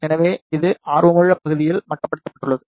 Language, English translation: Tamil, So, it is confined in the area of interest